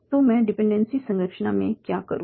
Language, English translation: Hindi, So what we do in dependency structure